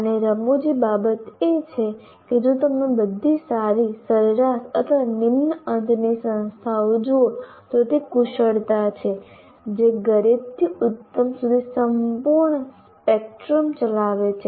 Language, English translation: Gujarati, If you look at any all good or average or low end institutions that you take, this skill runs the full spectrum from poor to excellent